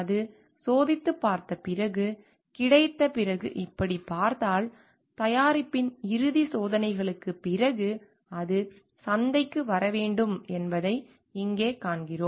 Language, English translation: Tamil, Like, after it is got tested, then if you see like after it is got; here we see that after it has got the final testing of the product then it needs to be coming to the market